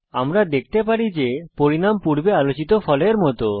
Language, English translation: Bengali, We can see that the result is as discussed before